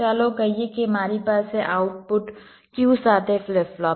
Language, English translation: Gujarati, let say i have a deep flip flop with the output q